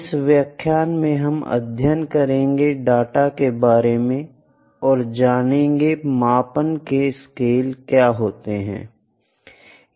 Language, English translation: Hindi, So, in this lecture, I will take what is data and what are the scales of measurement